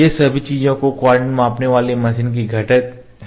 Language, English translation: Hindi, All these things are the components of the coordinate measuring machine